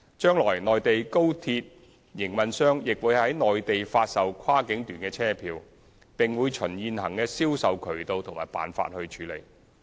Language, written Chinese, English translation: Cantonese, 將來內地高鐵營運商亦會在內地發售跨境段車票，並會循現行的銷售渠道和辦法處理。, In the future the Mainland high - speed rail operator will also sell cross boundary journey tickets on the Mainland and will do so through the existing sales channels and arrangements